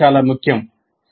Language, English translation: Telugu, That is also very important